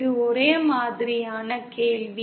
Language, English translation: Tamil, This is a homogeneous a question